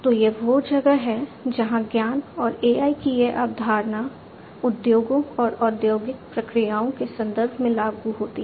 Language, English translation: Hindi, So, that is where this concept of knowledge and AI and etcetera comes in applicable in the context of industries and industrial processes